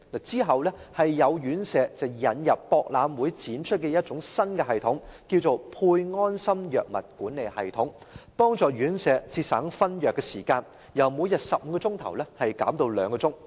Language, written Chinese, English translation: Cantonese, 之後，有院舍引入在博覽會展出的一套新系統，稱為"配安心藥物管理系統"，幫助院舍節省分藥時間，由每天15小時減至2小時。, After that certain residential care homes introduced a new system exhibited in the relevant Expo which is called SafeMed Medication Management System to save the time for drug distribution in residential care homes reducing the time required from 15 hours to two hours